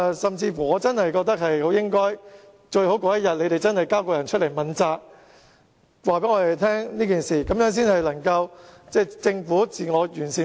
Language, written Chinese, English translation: Cantonese, 甚至，我覺得政府屆時最好交出須問責的人，清楚交代事情，這樣政府制度才可以自我完善。, Or perhaps the Government may now point out who should be held responsible and explain the entire incident . In this way the system of the Government can seek self - improvement